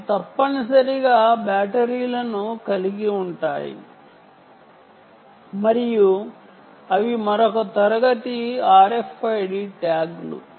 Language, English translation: Telugu, these essentially have batteries and, ah, they are another class of r f id tags